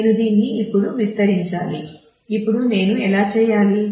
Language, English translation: Telugu, I need to actually expand this now how do I do that